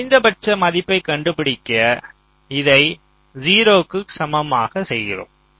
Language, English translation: Tamil, so to find the minimum value, we equate this to zero